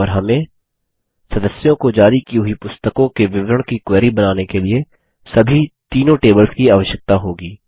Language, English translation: Hindi, And we will need all the three tables for our query to generate the history of the books issued to members